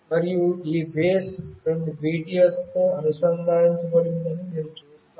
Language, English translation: Telugu, And you see that this base is coming connected with two BTS